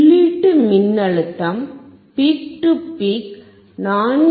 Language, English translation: Tamil, The input voltage peak to peak is 4